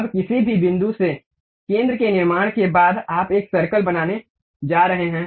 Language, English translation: Hindi, Now, once center is constructed from any point of that, you are going to draw a circle